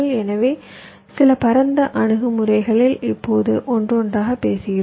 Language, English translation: Tamil, so, sub broad approaches we are talking about now one by one